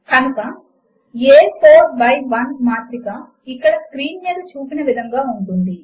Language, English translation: Telugu, So a 4 by1 matrix will look like as shown on the screen